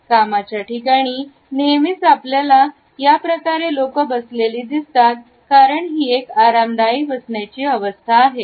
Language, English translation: Marathi, In the work place, we often find people opting for this posture because it happens to be a comfortable one